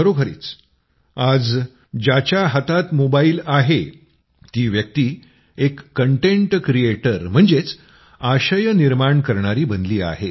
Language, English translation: Marathi, Indeed, today anyone who has a mobile has become a content creator